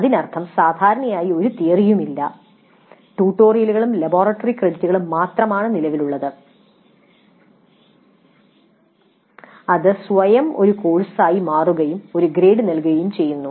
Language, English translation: Malayalam, That means typically no theory, no tutorials and only the laboratory credits are existing and that becomes a course by itself and is awarded a grade